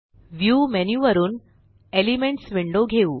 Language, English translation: Marathi, Let us bring up the Elements window from the View menu